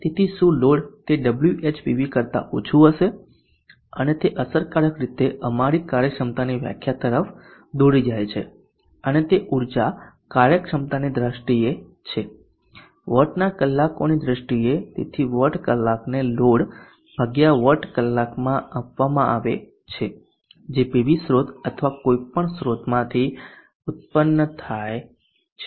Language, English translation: Gujarati, So what the load will get would be lesser than that with Wh PV and that he in effect leads to our definition of efficiency and it is in terms of energy efficiency in terms of the battlers, so whatever is given to the load divided by whatever is generated from the PV source or any source